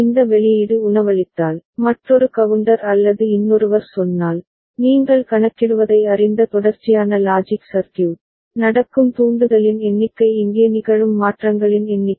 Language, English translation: Tamil, And if this output is feeding, another counter or another say, sequential logic circuit which is you know counting, the number of trigger that is happening number of changes happening here right